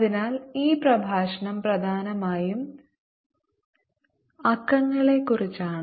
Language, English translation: Malayalam, so this lecture essentially about numbers